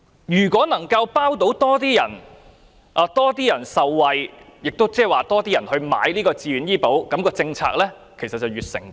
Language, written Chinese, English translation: Cantonese, 如果能夠讓更多市民受惠，更多人便會購買自願醫保，政策便會越成功。, If the scope of beneficiaries can be extended to attract more VHIS applicants this policy will be able to achieve a greater success